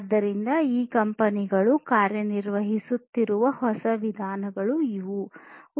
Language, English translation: Kannada, So, these are newer ways in which these companies are working